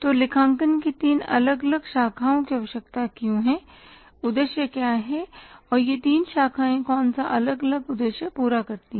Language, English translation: Hindi, So why there is a need for three different branches of accounting and what is the purpose or what are the different purposes that these three branches of accounting serve